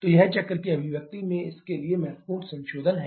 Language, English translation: Hindi, So, this is significant modification in the expression cycle for this